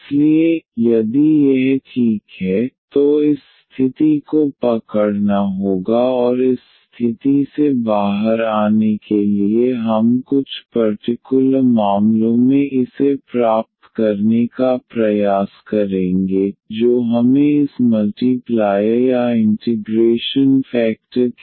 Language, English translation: Hindi, So, here if this is exact then this condition must hold and out of this condition we will try to derive some in some special cases this I here which we need as this multiplier or the integrating factor